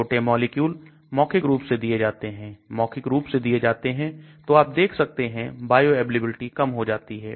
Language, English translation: Hindi, Small molecules are given orally when they are given orally bioavailability goes down and as you can see